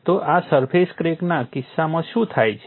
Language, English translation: Gujarati, So, what happens in the case of a surface crack